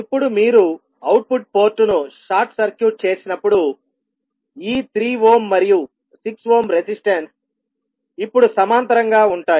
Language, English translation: Telugu, Now when you short circuit the output port these 3 ohm and 6 ohm resistance will now be in parallel